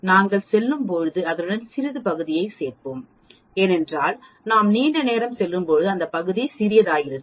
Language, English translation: Tamil, As we go along we will add little bit of the area, because the area as we go long becomes smaller and smaller